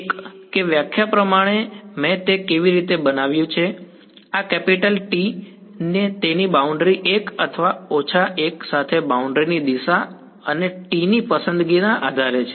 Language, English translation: Gujarati, 1 that by definition that is how I constructed it, these capital T its one along the boundary 1 or minus 1 depending on the orientation of the boundary and choice of t right